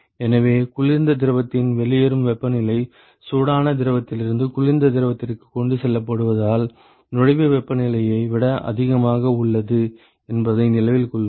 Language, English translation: Tamil, So, remember that the outlet temperature of the cold fluid is higher than the inlet temperature because it is being transported from the hot fluid to the cold fluid